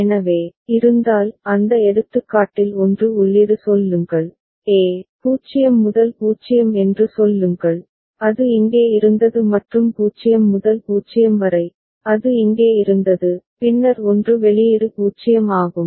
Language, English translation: Tamil, So, if there are 1 input we had in those example say, a, say 0 to 0, it was here and 0 to 0, it was here and then 1 output was 0